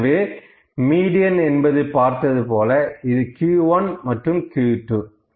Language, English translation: Tamil, Hence, as I discussed this is my median and this is Q 1 and Q 2